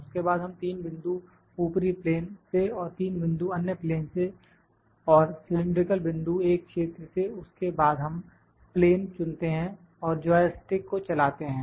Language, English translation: Hindi, Then we take 3 points top plane and 3 points are taken from the other plane and cylindrical point from a region then we select the plane and move the joystick